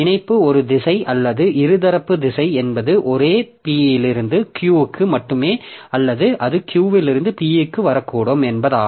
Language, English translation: Tamil, Unidirectional means that whether it always goes from p to q only or it can also come from Q to P